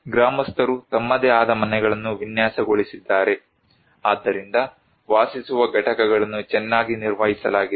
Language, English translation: Kannada, Villagers have designed their own houses; therefore; the dwelling units is very well maintained